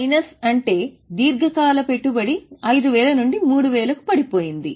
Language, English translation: Telugu, Minus means from 5,000 it has gone down to 3,000